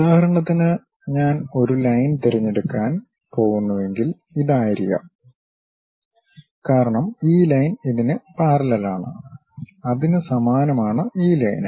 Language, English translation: Malayalam, For example, if I am going to pick a line maybe this one; because this line is parallel to this one is parallel to that, similarly this line parallel to this line